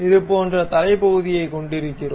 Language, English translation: Tamil, So, we have such kind of head portion